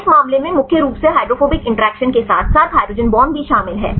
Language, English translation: Hindi, In this case mainly the hydrophobic interactions as well as the hydrogen bonds